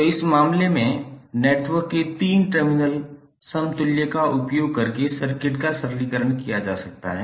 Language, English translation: Hindi, So in these cases, the simplification of circuits can be done using 3 terminal equivalent of the networks